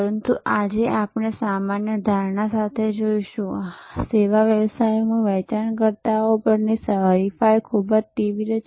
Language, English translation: Gujarati, But, today we will look at with the general assumption, we will start that in service businesses rivalry on sellers is very intense